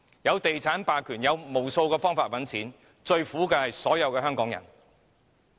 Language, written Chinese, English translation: Cantonese, 透過地產霸權，他們有無數方法賺錢，最苦的是所有香港人。, They have numerous ways to make profit under real estate hegemony yet all the people of Hong Kong will suffer the most